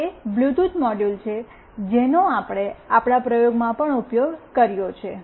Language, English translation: Gujarati, This is the Bluetooth module that we have also used it in our experiment ok